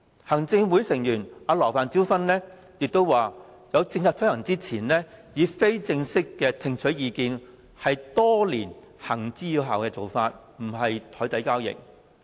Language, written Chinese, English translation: Cantonese, 行政會議成員羅范椒芬亦表示，在政策推行之前，以非正式會面聽取意見，是多年來行之有效的做法，不涉及任何檯底交易。, Fanny LAW a member of the Executive Council also pointed out that before rolling out a policy listening to views through informal meetings has been an effective practice for years and it does not involve any deals under the table